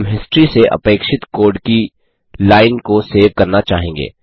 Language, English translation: Hindi, we would like to save the required line of code from history